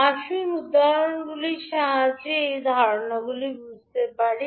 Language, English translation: Bengali, Now let us take one example so that we can understand the concept